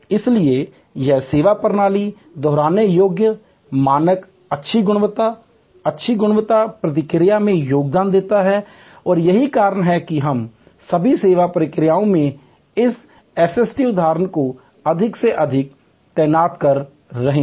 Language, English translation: Hindi, These can therefore, contribute to repeatable, standard, good quality, high quality, response from the service system and that is why we are deploying more and more of this SST instances in all most all service processes